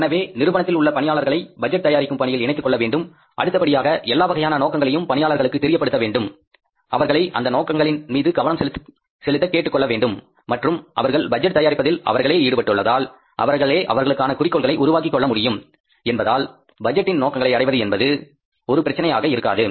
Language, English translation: Tamil, So, involve the people in preparation of budget, communicate then all the targets to employees, you ask them to focus upon these targets and since they are involved into preparing that budget themselves, they themselves have set the targets for themselves, it means the achievement of the budgetary objectives will not be a problem